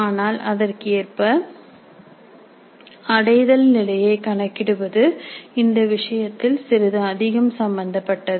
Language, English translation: Tamil, But correspondingly computing the level of attainment would also be a little bit more involved in this case